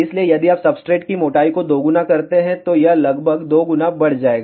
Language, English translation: Hindi, So, if you double the substrate thickness bandwidth will also increased by almost 2 times